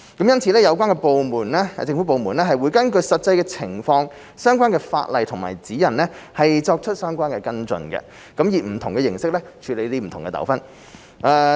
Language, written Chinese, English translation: Cantonese, 因此，有關的政府部門會根據實際情況、相關法例和指引作出跟進，以不同形式處理不同糾紛。, Therefore the relevant government departments may adopt different approaches in handling different disputes in light of the actual circumstances and the provisions of the relevant legislation and guidelines